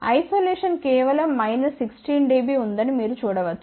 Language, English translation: Telugu, You can see that isolation is just about a minus 16 Db